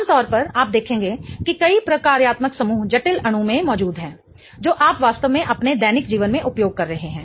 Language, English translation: Hindi, Typically you will observe that multiple functional groups are present in a complex molecule which you might be really using in your day to day life